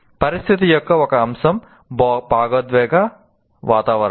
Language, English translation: Telugu, The situation, one aspect of situation is emotional climate